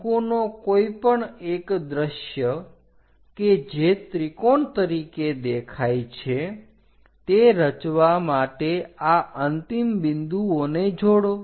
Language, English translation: Gujarati, Join these end points to construct one of the view of a cone which looks like a triangle